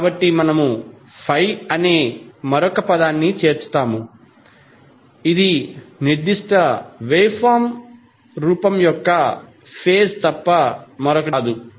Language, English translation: Telugu, So we add another term called phi which is nothing but the phase of that particular waveform